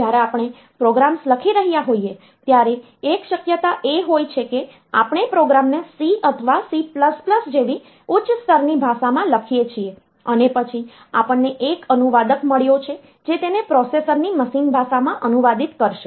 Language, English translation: Gujarati, So, one possibility is that we write the program in say high level language like C or C++, and then we have got a translator that will translate it into the machine language of the processor